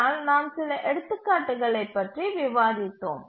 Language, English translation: Tamil, Now let's look at some examples